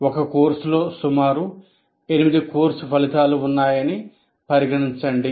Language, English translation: Telugu, Let us consider there are about eight course outcomes that we do